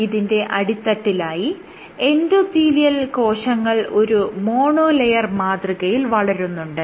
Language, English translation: Malayalam, If you look at the base you have endothelial cells are grown as a mono layer and then you have flow